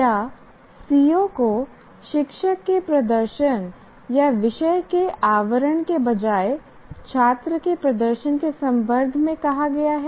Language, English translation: Hindi, stated in terms of student performance rather than the teacher performance or subject matter to be covered